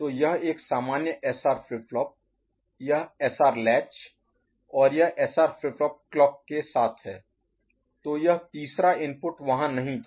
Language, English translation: Hindi, So, this is the normal SR flip flop these SR latch and the SR flip flop with clock, so this third input was not there ok